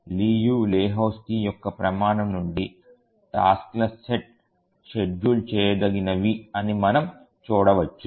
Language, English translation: Telugu, So from the Liu Lehusky's criterion we can see that the task set is schedulable